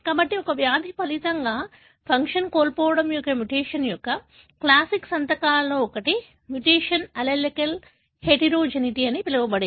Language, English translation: Telugu, So, one of the classic signatures of a loss of function mutation resulting in a disease is that the mutation show what is called as allelic heterogeneity